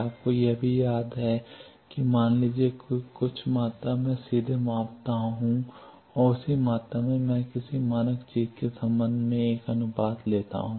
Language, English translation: Hindi, You also remember these that suppose some quantity I directly measure and that same quantity, I take a ratio with respect to some standard thing